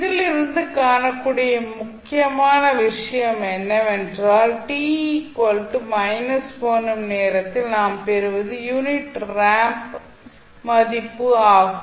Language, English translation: Tamil, So, important thing which you can see from here is that at time t is equal to minus 1 you will get the value of unit ramp